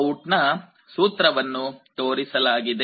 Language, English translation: Kannada, The expression for VOUT is shown